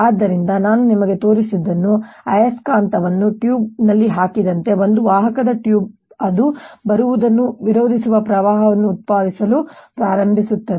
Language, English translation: Kannada, so what i have shown you is, as the magnet is put it in the tube, a conducting tube, it starts generating current that opposes its coming down